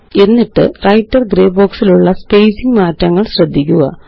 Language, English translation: Malayalam, And notice the spacing changes in the Writer gray box